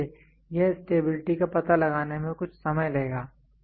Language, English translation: Hindi, So, it will take some time to find out the stability